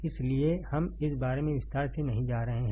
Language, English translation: Hindi, So, we I am not going into detail about this